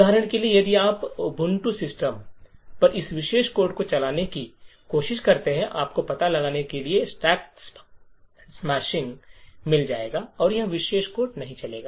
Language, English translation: Hindi, So, quite likely if you try to run this particular code on your latest for example Ubuntu systems you would get stack smashing getting detected and this particular code will not run